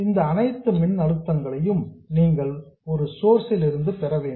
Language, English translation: Tamil, You have to obtain all these DC voltages from a single source